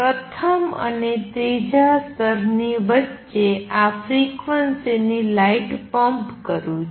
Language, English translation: Gujarati, What I can do is pump shine light of this frequency between the first and the third level